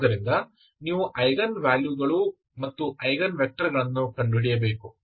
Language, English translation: Kannada, So you need to find the eigenvalues and eigen vectors